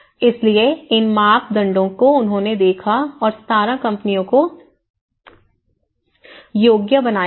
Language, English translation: Hindi, So, this is how these are the criteria they have looked at and they qualified 17 of the companies